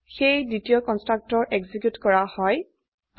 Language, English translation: Assamese, So the second constructor gets executed